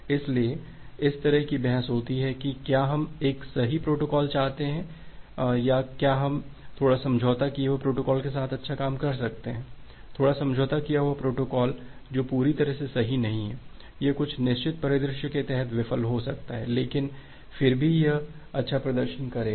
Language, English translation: Hindi, So, that’s why you have this kind of debate on whether we want a correct protocol or whether we still can work good with a compromised, little compromised protocol which is not totally correct, it can fail under certain scenario, but still it will give good performance